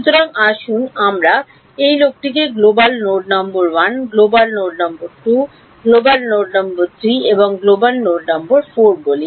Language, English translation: Bengali, So, let us call this guy global node number 1, global node 2 global node 3 and global node 4